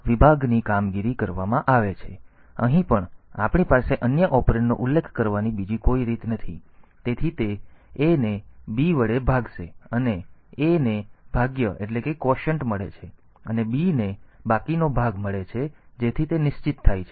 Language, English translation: Gujarati, So, here also we do not have any other way to specify other operands, so it will divide A by B, and A gets the quotient and B gets the remainder so that is fixed